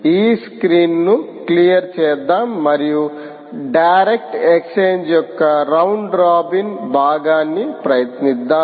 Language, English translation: Telugu, lets clear this screen and lets try the round robin part of the direct exchange